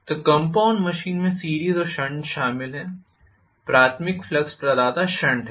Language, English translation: Hindi, So compound machine includes series and shunt, the primary flux provider is shunt